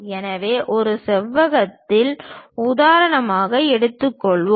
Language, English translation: Tamil, So, let us take an example a rectangle